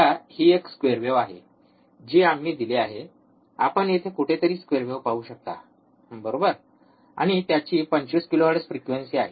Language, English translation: Marathi, Now, this is a square wave that we have applied, you can see square wave here somewhere here, right and there is 25 kilohertz